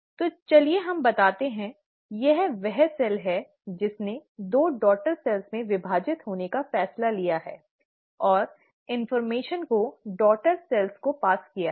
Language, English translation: Hindi, So let us say, this is the cell which has decided to divide into two daughter cells and pass on the information to its daughter cells